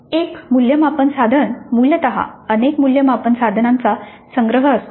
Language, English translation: Marathi, Now an assessment instrument essentially is a collection of assessment items